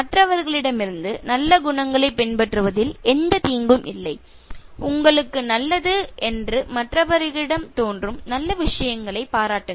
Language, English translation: Tamil, There is no harm in imitating good qualities from others and appreciate good things from others that is good for you